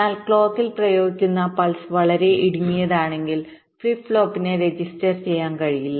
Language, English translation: Malayalam, but what if the pulse that is apply to clock is so narrow that the flip flop is not able to register